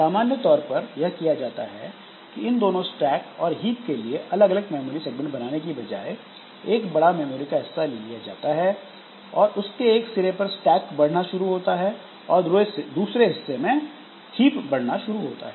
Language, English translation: Hindi, So, this normally what is done is that the stack and hip, so these two instead of making them two separate segments, so we take a big chunk of memory and from one end the stack starts to grow and from the other end the hip starts to grow